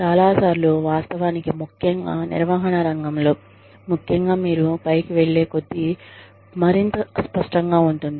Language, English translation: Telugu, Many times, actually, especially in the management field, especially, the higher, you go, the more vague, you become